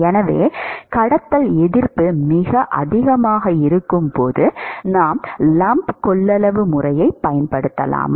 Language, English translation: Tamil, So, when conduction resistance is very large, can we use lump capacitance method